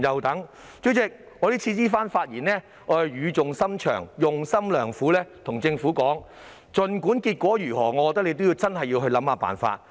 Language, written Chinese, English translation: Cantonese, 代理主席，我這番發言語重深長、用心良苦，我要告訴政府，無論結果如何，政府真的要去想辦法。, Deputy President what I have said is with all sincerity and well - intentioned . I wish to tell the Government that no matter what the outcome is it really has to figure a way out